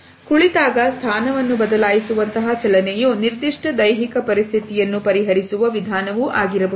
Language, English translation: Kannada, Movement such as shifting position when seated, may be simply way of resolving a specific physical situation